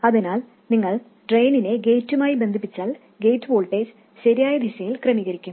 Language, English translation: Malayalam, So if we simply connect the drain to the gate, the gate voltage will be adjusted in the correct direction